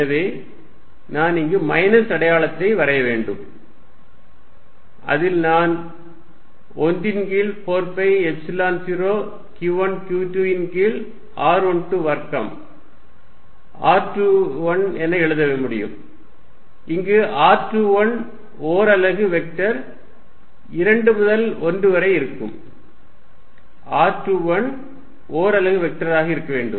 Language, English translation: Tamil, So, I have to put in minus sign out of here which I can equally well write as 1 over 4 pi Epsilon 0, q 1 q 2 over r 1 2 square r 2 1, where r 2 1 is a unit vector form 2 to 1, r 2 1 should be unit vector